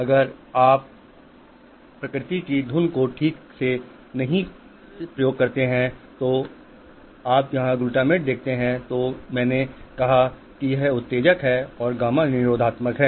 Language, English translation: Hindi, Because if nature doesn't fine tune, a lot of this if you see the glutamate here, as I said, is excitatory and GABA is inhibitory